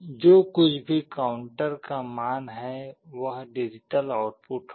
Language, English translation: Hindi, Whatever is the counter value, will be the digital output